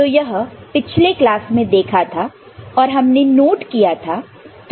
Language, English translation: Hindi, So, this was there in the last class, we made a note of it